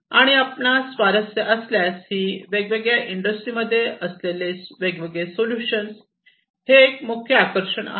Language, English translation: Marathi, And if you are interested this was just a glimpse a highlight of these different solutions that are there in the different industries